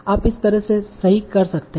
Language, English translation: Hindi, So you can write it like that